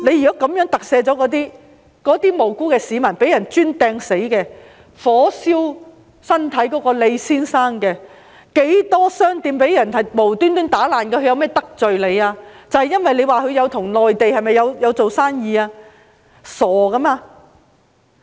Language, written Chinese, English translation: Cantonese, 如果這樣特赦他們，那些無辜的市民、被人用磚擲死的，被火燒傷身體的李先生，還有無故被搗亂的商店又如何——它們有何得罪你，是因為與內地做生意嗎？, If amnesty is granted to them in this manner how about those innocent members of the public the person killed by bricks being hurled and Mr LEE who suffered burns as well as shops being messed up―how did these shops offend you is it merely because they are doing business with the Mainland?